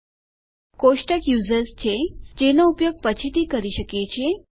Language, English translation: Gujarati, Our table is users, which we can use later on